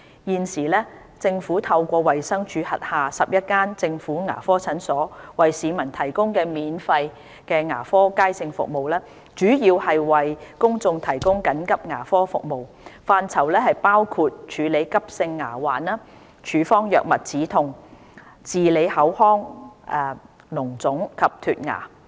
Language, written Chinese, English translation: Cantonese, 現時政府透過衞生署轄下11間政府牙科診所為市民提供的免費牙科街症服務，主要為公眾提供緊急牙科服務，範疇包括處理急性牙患、處方藥物止痛、治理口腔膿腫及脫牙。, At present free emergency dental services are provided for the public through general public sessions in the 11 government dental clinics of DH . These services mainly cover emergency dental treatments including treatment of acute dental diseases prescription for pain relief treatment of oral abscess and teeth extraction